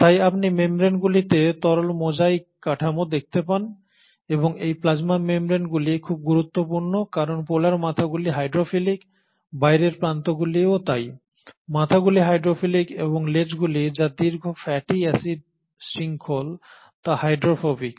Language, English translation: Bengali, Hence you find that the membranes have what is called as a fluid mosaic structure and these plasma membranes are very important because the polar heads are hydrophilic, so the outer edges, the heads are hydrophilic while the tails which are the long fatty acid chains are hydrophobic